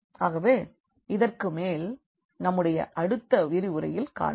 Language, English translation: Tamil, So, more on this we will continue in our next lecture